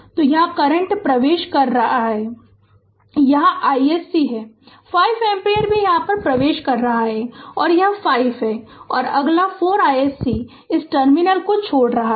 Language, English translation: Hindi, So, current is entering here this is I s c; 5 ampere is also entering here, this is 5 right and next 4 I s c leaving this terminal